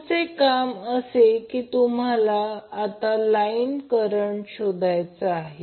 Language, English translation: Marathi, Next task is you need to find out the line current